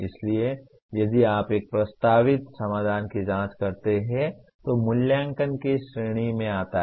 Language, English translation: Hindi, So if you look at examining a proposed solution comes under the category of evaluation